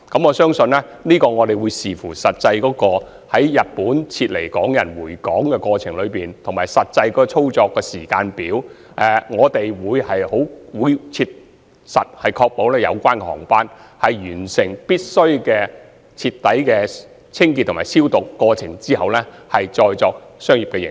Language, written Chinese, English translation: Cantonese, 我相信，這須視乎實際從日本撤離港人回港的過程及實際操作的時間表而定，但我們會切實確保有關的航機會在完成所需的徹底清潔及消毒後，才再作商業營運。, I believe it all depends on the actual evacuation process of Hong Kong residents from Japan to Hong Kong and the actual operation timetable . We will nonetheless practically ensure that the relevant planes will not be used for business operations before they are thoroughly cleansed and disinfected as required